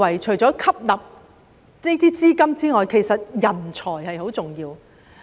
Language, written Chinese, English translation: Cantonese, 除了吸納資金外，我認為人才也很重要。, In addition to absorbing funds I think attracting talents is also very important